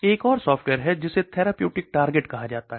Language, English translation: Hindi, Then there is another software is called the therapeutic target